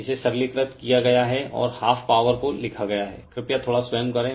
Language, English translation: Hindi, It is simplified and written to the power minus half you please do little bit of your own